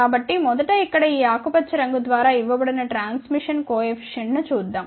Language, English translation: Telugu, So, first of all let us see the transmission coefficient which is given by this green color over here